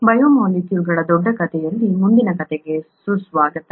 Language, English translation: Kannada, Welcome to the next story in the larger story of biomolecules